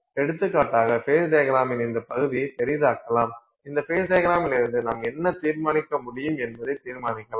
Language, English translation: Tamil, So, for example, I'll sort of magnify this region of the phase diagram just to tell you what is it that we can determine from this phase diagram